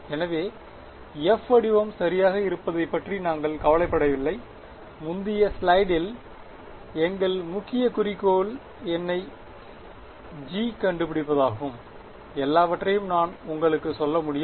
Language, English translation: Tamil, So, we do not care what the form of f is ok, as motivated in the previous slide our main objective is find me g, I can tell you everything ok